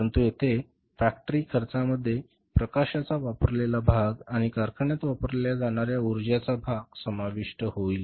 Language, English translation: Marathi, But here the factory cost will include that part of light which is used, that part of the power which is used in the factory